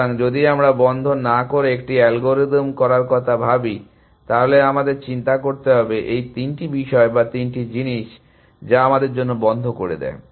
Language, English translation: Bengali, So, if we are going to think of having an algorithm without closed, then we would have to worry about, these three issues or these three things that closes doing for us essentially